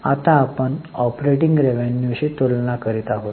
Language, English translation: Marathi, Now we are comparing with operating revenue